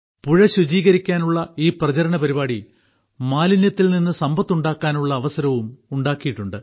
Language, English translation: Malayalam, This campaign of cleaning the river has also made an opportunity for wealth creation from waste